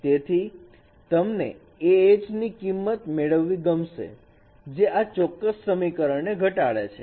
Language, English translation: Gujarati, So you would like to get that values of H which will minimize this particular equations